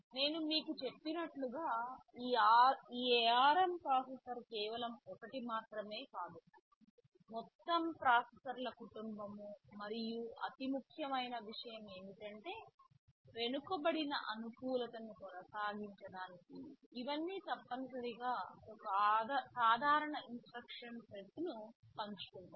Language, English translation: Telugu, AsNow as I told you this ARM processor is not just one, but a whole family of ARM processors exist and the most important thing is that in order to maintain backward compatibility, which is very important in this kind of evolution all of thisthese share essentially a common instruction set